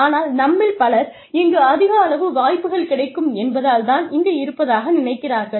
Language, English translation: Tamil, But, many of us, I think, most of us are here, because of the large number of opportunities, we get